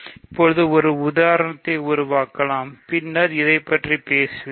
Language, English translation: Tamil, One can construct an example maybe later on I will talk about this